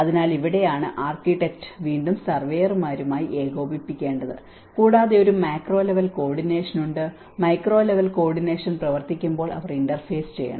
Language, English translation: Malayalam, So, this is where architect has to again coordinate with the surveyors and there is a macro level coordination, when micro level coordination works they have to interface